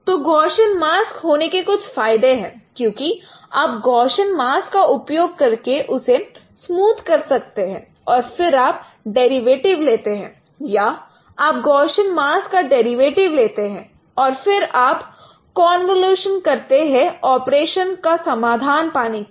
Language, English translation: Hindi, Now there are there are some advantages of having Gaussian mask because either you can smooth the Gaussian, smooth it using Gaussian mask and then take the derivatives or instead you take the derivatives of the Gaussian mask and then apply convolutions to get the resulting operations